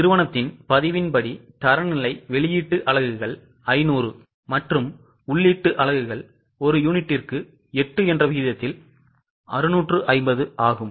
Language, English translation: Tamil, The standard as per the company's record is output units are 500 and input units are 650 at the rate of 8 per unit